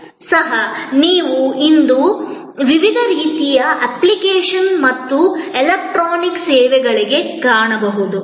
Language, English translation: Kannada, Even, that you can find today to various kinds of application and electronic services